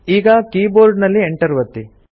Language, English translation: Kannada, Now press Enter on the keyboard